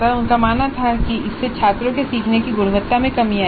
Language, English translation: Hindi, They believed that this would reduce the quality of learning by students